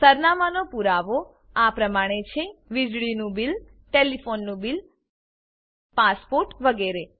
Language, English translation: Gujarati, Documents for proof of address are Electricity bill Telephone Bill Passport etc